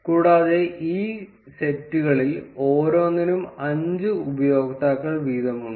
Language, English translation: Malayalam, And each of these sets has 5 users each